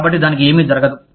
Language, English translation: Telugu, So, nothing will happen to it